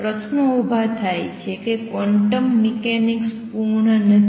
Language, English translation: Gujarati, The questions that arises that quantum mechanics is not complete